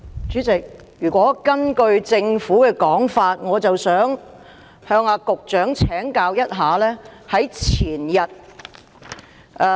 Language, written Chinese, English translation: Cantonese, 主席，根據政府的說法，我想向局長請教。, President in view of what the Government said I would like to seek the advice of the Secretary